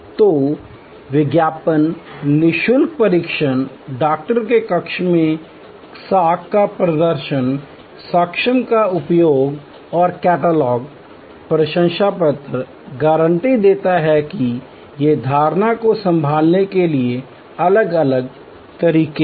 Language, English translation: Hindi, So, advertisement, free trial, display of credentials in the doctor chamber, use of evidence and the catalog, testimonials, guarantees these are different ways to handle that is perception